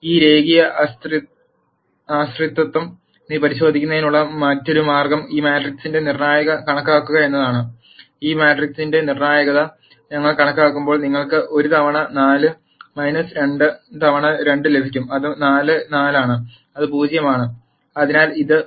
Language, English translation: Malayalam, Now another way to check this linear dependence is to calculate the determinant of this matrix, and when we calculate the determinant of this matrix, you will get 1 times 4 minus 2 times 2, which is 4 minus 4 which is 0